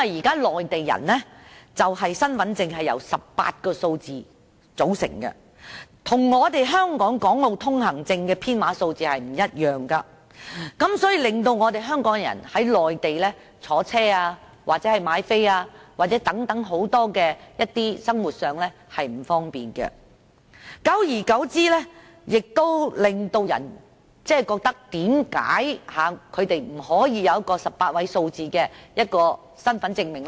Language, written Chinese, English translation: Cantonese, 現時，內地人的身份證號碼由18位數字組成，與香港的《港澳居民來往內地通行證》的編碼不同，對香港人在內地乘搭交通工具或購票等多方面造成不便，久而久之令人們覺得為何他們不可以擁有一種18位數字的身份證明。, At present the identity card for Mainland people contains an 18 - digit number and its numbering differs from that of Hong Kongs Mainland Travel Permit for Hong Kong and Macau Residents . This has caused inconvenience to Hong Kong people in many aspects such as travelling on different modes of transport or buying tickets on the Mainland . Gradually people will begin to wonder why they cannot have a kind of identification with an 18 - digit number